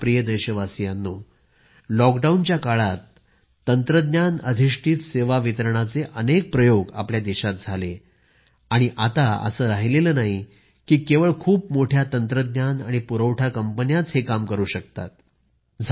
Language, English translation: Marathi, During the lockdown, many instances of technology based service delivery were explored in the country and it is not that only the big technology and logistic companies are capable of the same